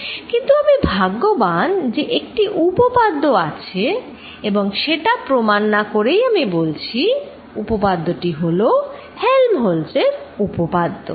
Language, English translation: Bengali, But, we are fortunate there is a theorem and I am going to say without proving it the theorem called Helmholtz's theorem